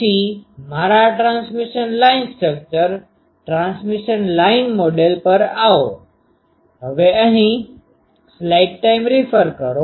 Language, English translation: Gujarati, Then, come to my transmission line structure, transmission line model